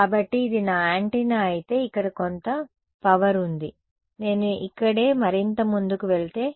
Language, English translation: Telugu, So, if I this is my antenna over here there is some power over here, if I go further over here right